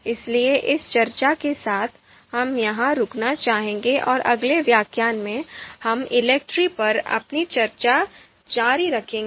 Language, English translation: Hindi, So with this much discussion, we would like to stop here and in the next lecture, we will continue our discussion on ELECTRE